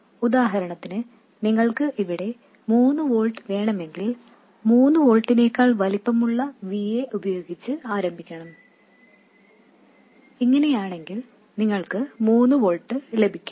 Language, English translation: Malayalam, For instance if you wanted 3 volts here you would start with the VA that is larger than 3 volts and at this point you will get 3 volts